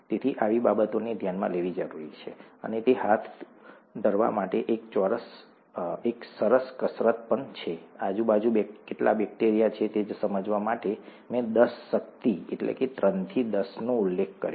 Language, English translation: Gujarati, So, such things need to be taken into account, and it is also a nice exercise to carry out, to realize how much bacteria is present around, I did mention ten power three to ten power four organisms per ml